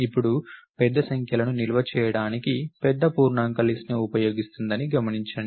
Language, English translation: Telugu, Now, notice that big int is using the list to store large numbers